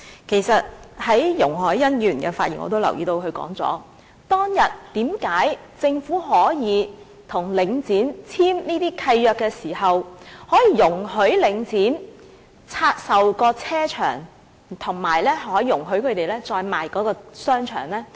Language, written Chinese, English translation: Cantonese, 其實從容海恩議員的發言中我已經留意到，她問當日為何政府在與領匯簽定這些契約時，可以容許領匯拆售停車場和再出售商場？, In fact when Ms YUNG Hoi - yan was delivering her speech I noticed that she asked why the Government would allow The Link to divest its car parks and re - divest its shopping malls when it entered into those leases with The Link back then